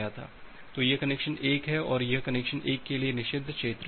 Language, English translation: Hindi, So, this is the connection 1 and this is the forbidden region for connection 1